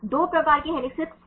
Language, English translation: Hindi, What are the 2 types of helices